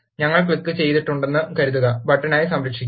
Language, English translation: Malayalam, Let us suppose we have click the, Save as button